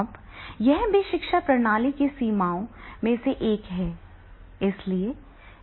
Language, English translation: Hindi, Now that is also one of the limitation of the pedagogy system